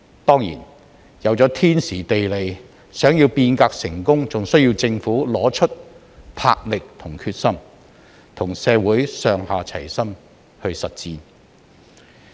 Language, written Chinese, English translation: Cantonese, 當然，有了天時、地利，想要變革成功，還須要政府拿出魄力和決心，與社會上下齊心實踐。, Of course while we are at the right place and right time the success of reform is still contingent upon the Governments vigour and determination to work as one with the community